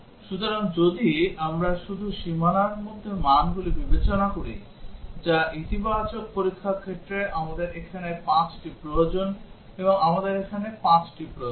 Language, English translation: Bengali, So, if we just consider the values within the boundary, which are the positive test cases we need 5 here and we need 5 here